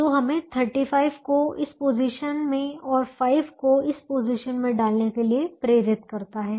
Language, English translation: Hindi, that would also lead us to putting thirty five in this position and five in the other position